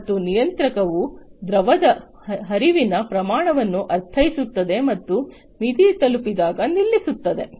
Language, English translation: Kannada, And the controller would interpret the amount of fluid flow and stop, when the threshold is reached